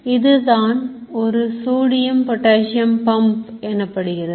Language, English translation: Tamil, So this is called a sodium potassium pump